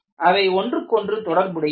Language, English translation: Tamil, There have to be interrelationship among them